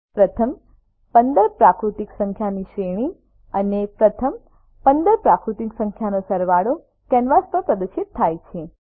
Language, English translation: Gujarati, A series of sum of first 15 natural numbers and sum of first 15 natural numbers is displayed on the canvas